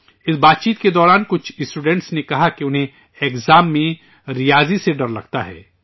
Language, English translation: Urdu, During this discussion some students said that they are afraid of maths in the exam